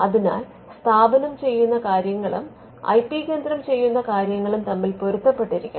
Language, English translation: Malayalam, So, this is what we say that there has to be an alignment of what the IP centre is doing with what the institute is doing